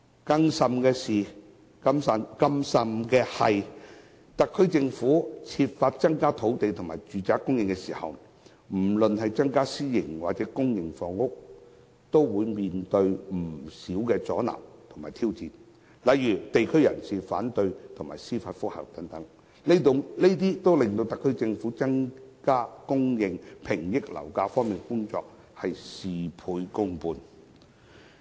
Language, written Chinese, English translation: Cantonese, 更甚的是，特區政府在增加建屋土地和公私營住宅單位時，往往面對不少阻撓和挑戰，例如地區人士反對及提出司法覆核等，令特區政府在增加住宅單位供應、遏抑樓價的工作事倍功半。, Worse still when the Government makes effort to increase land for construction of public and private residential flats it often has to face a lot of obstructions and challenges such as opposition from local residents and application for judicial review etc . Consequently the SAR Government can only get half the results with double the effort in increasing the supply of residential flats and curbing property prices